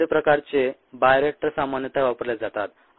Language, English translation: Marathi, different types of bioreactors are commonly used